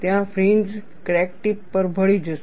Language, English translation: Gujarati, There the fringes would merge at the crack tip